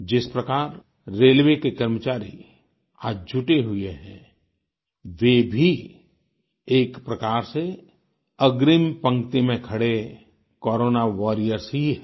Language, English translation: Hindi, The way our railway men are relentlessly engaged, they too are front line Corona Warriors